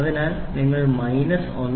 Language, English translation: Malayalam, So, you say minus 1